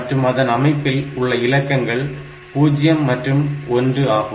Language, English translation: Tamil, Now, after that, this has got only 2 digits in it, 0 and 1